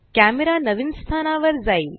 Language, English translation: Marathi, The camera moves to the new location